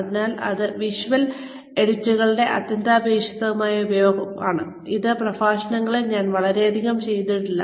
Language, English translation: Malayalam, So, that is essential use of visual aids, which is something, I have not done, very much in these lectures